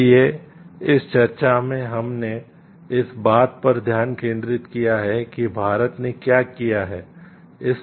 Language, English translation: Hindi, So, in this discussion, we have focused on like what India has done in